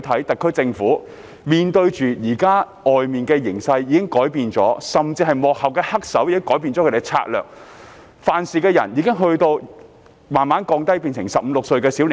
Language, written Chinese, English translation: Cantonese, 特區政府現時面對的形勢已有所改變，原因是幕後黑手已改變策略，犯事者已逐漸變為15歲、16歲的小伙子。, The situation facing the SAR Government has now changed because the real culprit behind the scene has adopted a different tactic . The law - breakers now are teenagers aged 15 or 16